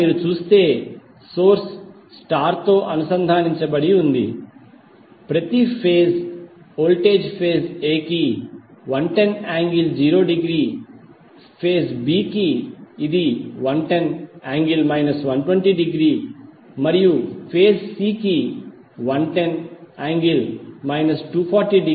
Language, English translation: Telugu, So here if you see, the source is star connected, the per phase voltage is 110 angle zero degree for Phase A, for phase B it is 110 angle minus 120 and for phase C it is 110 minus 240